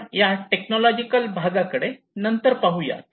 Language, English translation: Marathi, We can go for this technological matter in later on